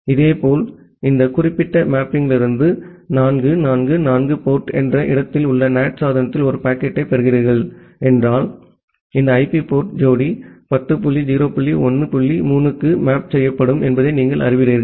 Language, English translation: Tamil, Similarly if you are receiving a packet at the NAT device at port 4444 from this particular mapping you know that this IP port pair will be mapped to 10 dot 0 dot 1 dot 3, it port 3020